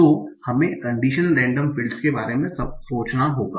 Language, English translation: Hindi, So that we have to think about condition random fields